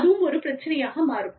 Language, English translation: Tamil, That also, becomes an issue